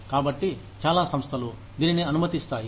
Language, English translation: Telugu, So, many organizations, allow this